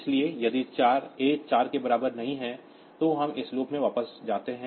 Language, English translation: Hindi, So, if a is not equal to 4, then we go back to this loop